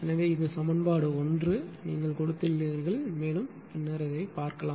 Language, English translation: Tamil, So, this is you have given equation 1 much more will see later, right